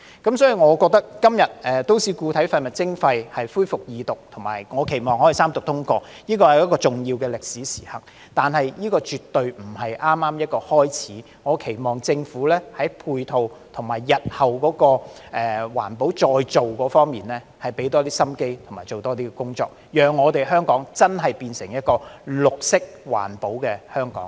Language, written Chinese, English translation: Cantonese, 因此，我認為今天《條例草案》恢復二讀，以及我期望可以三讀通過，這是重要的歷史時刻，但這絕對不是剛剛開始的......我期望政府在配套，以及日後環保再造方面投入更多心機和做更多工作，讓香港真的變成綠色環保的香港。, Therefore I think the resumption of the Second Reading of the Bill today and I hope the Bill will go through the Third Reading and be passed is an important historical moment yet this is definitely not just the beginning of I hope that the Government will put in more efforts and do more in environmental protection and recycling work in the future so that Hong Kong can become a truly green and environmental - friendly Hong Kong